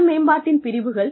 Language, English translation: Tamil, Domains of self development